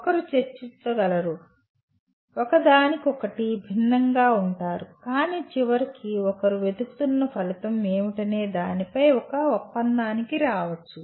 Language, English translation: Telugu, One can debate, differ from each other but finally come to an agreement on what exactly the outcome that one is looking for